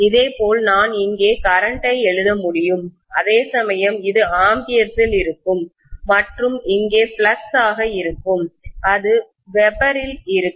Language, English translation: Tamil, Similarly, I can write here current whereas this will be in amperes and here it is going to be flux which will be in webers, Right